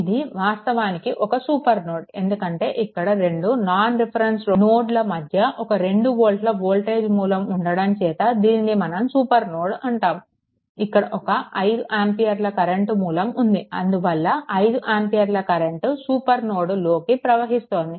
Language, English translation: Telugu, This is actually super node this is supernode because 2 1 voltage source is there in between 2 non reference node; so, in this case, a 5 ampere current this 5 ampere current actually entering the super node